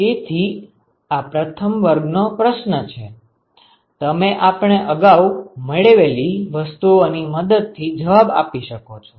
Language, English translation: Gujarati, So that is the first class of questions you can answer with some of the things that we have derived so far